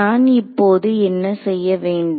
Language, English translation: Tamil, So, what do I do now